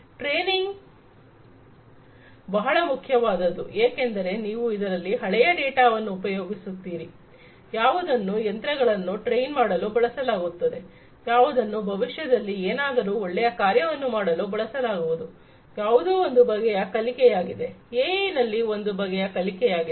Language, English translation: Kannada, Training is very important because, you know, so you are using past data, which you will be using to train the machines to do something better in the future that is one type of learning in fact, in AI that is one type of learning right